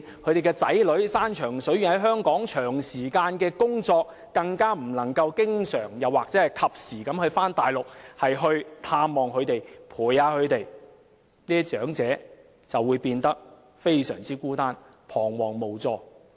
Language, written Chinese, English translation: Cantonese, 他們的子女遠在香港長時間工作，不能夠經常或及時到大陸探望及陪伴他們，這些長者便會變得非常孤單，彷徨無助。, Their children who work afar in Hong Kong for long hours every day cannot travel to the Mainland to visit them and spend time with them frequently or promptly . These elderly persons will then become awfully lonely baffled and helpless